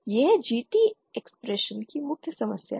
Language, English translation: Hindi, That is the main problem of this GT expression